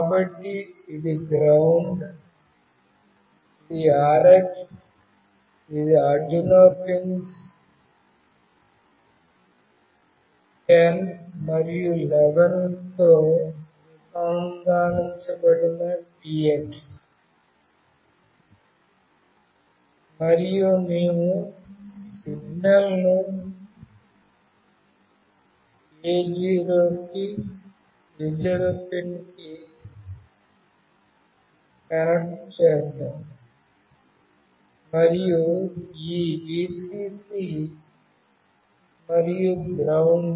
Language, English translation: Telugu, So, this is ground, this is Rx, this is Tx that are connected to Arduino pins 10 and 11, and we have connected the signal to A0 pin, and this Vcc and ground